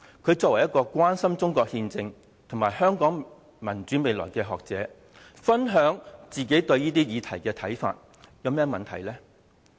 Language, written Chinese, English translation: Cantonese, 他作為關心中國憲政和香港民主未來的學者，分享自己對這些議題的看法，有何問題呢？, As a scholar who is concerned about the constitutional system of China and the future of democracy in Hong Kong he shared his own views on such topics . What is wrong with that?